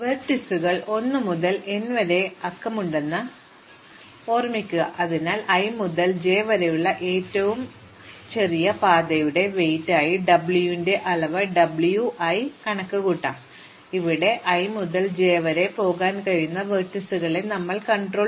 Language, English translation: Malayalam, So, recall that vertices are numbered 1 to n, so we will compute a quantity W k of i j to be the weight of the shortest path from i to j, where we restrict the vertices that can be used go from i to j to be between 1 and k